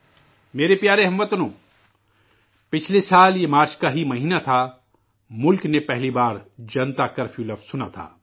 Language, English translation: Urdu, My dear countrymen, last year it was this very month of March when the country heard the term 'Janata Curfew'for the first time